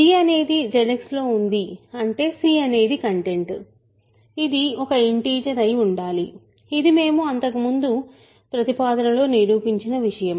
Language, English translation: Telugu, So, g is in Z X; that means, c equal c which is the content must be an integer, this is something that we proved in the last proposition